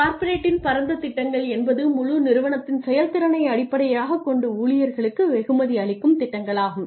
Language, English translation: Tamil, Corporate wide plans are plans where you are rewarded where you reward employees based on the entire corporation